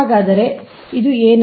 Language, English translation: Kannada, so what is this